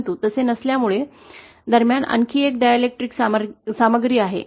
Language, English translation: Marathi, But since it is not so, we have another dielectric material in between